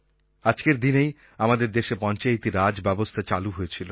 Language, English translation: Bengali, On this day, the Panchayati Raj system was implemented in our country